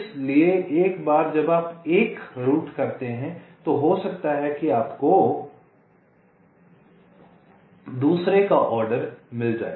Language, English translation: Hindi, so once you route one may be, you find the order of the other